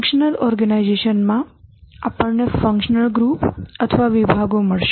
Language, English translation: Gujarati, In the functional organization, we will find functional groups or departments